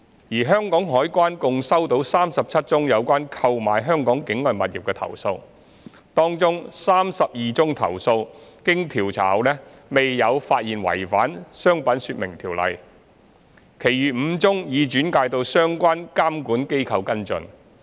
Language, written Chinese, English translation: Cantonese, 而香港海關共收到37宗有關購買香港境外物業的投訴，當中32宗投訴經調查後未有發現違反《商品說明條例》，其餘5宗已轉介到相關監管機構跟進。, The Customs and Excise Department CED received 37 complaints that related to purchase of properties situated outside Hong Kong . CED has completed the investigation of 32 cases with no offence under the Trade Descriptions Ordinance Cap . 362 detected and referred the remaining five cases to relevant regulatory bodies for follow - up